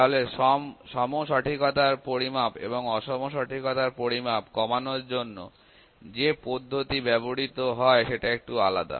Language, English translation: Bengali, So, the method used for reduction of measurement of equal and measurement of unequal accuracy are slightly different